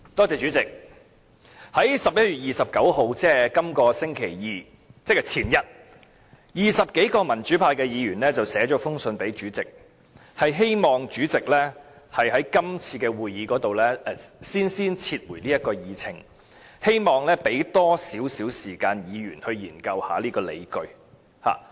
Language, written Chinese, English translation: Cantonese, 主席，在11月29日，即這個星期二，也就是前天 ，20 多名民主派議員去信主席，希望主席在今次會議先撤回這項議案，讓議員有更多時間研究當中的理據。, President more than 20 Members belonging to the pro - democracy camp wrote to the President on 29 November hoping that he would withdraw this motion from this meeting so as to allow more time for Members to study the justifications put forth